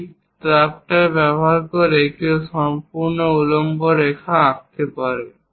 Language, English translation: Bengali, Using this drafter, one can draw complete vertical lines